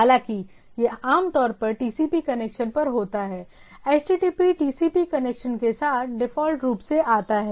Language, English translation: Hindi, Though it is generally take place over TCP connection, HTTP comes by default with the TCP connection